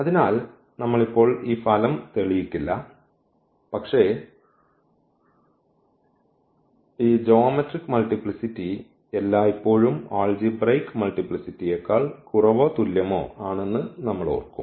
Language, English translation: Malayalam, So, we will not prove this result now, but we will keep in mind that this geometric multiplicity is always less than or equal to the algebraic multiplicity